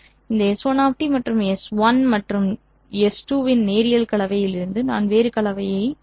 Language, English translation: Tamil, From this S1 of T and linear combination of S1 and S2 I will obtain a different combination